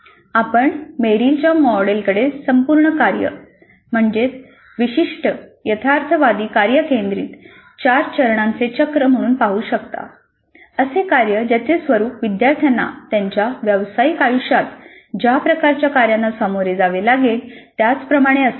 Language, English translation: Marathi, So we can look at the Merrill's model as a four phase cycle of learning centered around a whole task, a realistic task, a task whose nature is quite similar to the kind of tasks that the learners will face in their professional life